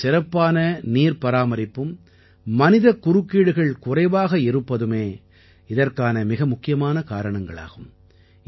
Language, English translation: Tamil, The most important reason for this is that here, there is better water conservation along with very little human interference